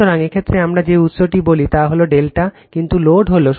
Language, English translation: Bengali, So, in this case your what we call that source is delta, but load is star